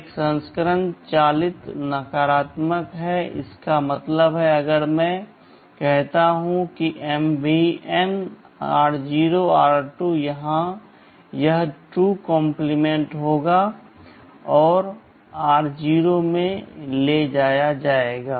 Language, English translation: Hindi, There is another version move negated; that means, if I say MVN r0,r2 here this 2 will be complemented and will be moved into r0